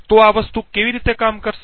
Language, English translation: Gujarati, So why would this thing work